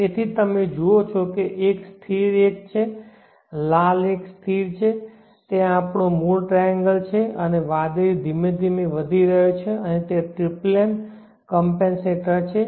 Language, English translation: Gujarati, So you see that one is the constant one generate one is constant that is our original triangle and the blue one is gradually increasing and that is the tripling compensated one let me quit that